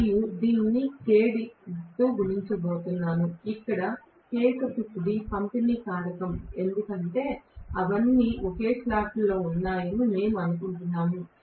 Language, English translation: Telugu, And I am going to have this multiplied by Kd, where Kd is the distribution factor because we assume that all of them are located in the same slot